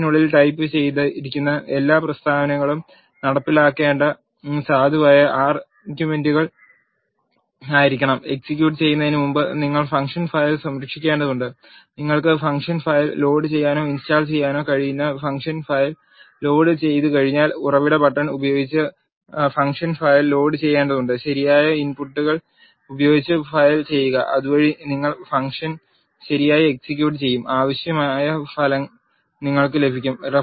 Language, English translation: Malayalam, All the statements that are typed inside the function has to be valid R statements to be executed, and you need to save the function file before executing you need to load the function file by using the source button once you load the function file you can invoke or call the function file with the right number of inputs so that you will execute the function properly and you will get the required result